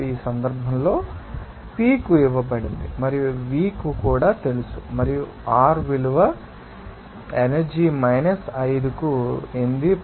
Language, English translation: Telugu, Now, in this case, P is given to you, and also V is known to you and R value is 8